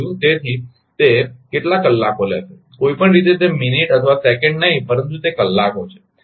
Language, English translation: Gujarati, So, how many hours it will take of course, not minute or second in any way it is hours